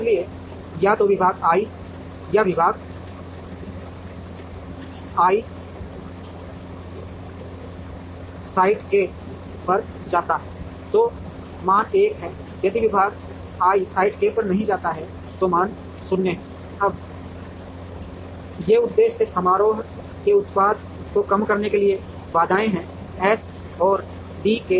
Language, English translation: Hindi, So, either department i if department i goes to site k, then the value is 1, if department i does not go to site k the value is 0, now these are the constraints the objective function is to minimize the product of the w i j’s and d k l’s